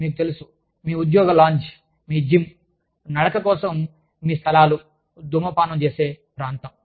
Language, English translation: Telugu, You know, your employee lounge, your gym, your places for a walk, your smoking area